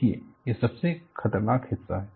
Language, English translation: Hindi, See, that is the most dangerous part of it